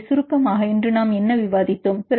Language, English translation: Tamil, So, summarizing, what did we discussed today